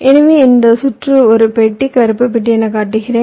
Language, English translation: Tamil, so i am showing this circuit as a box, black box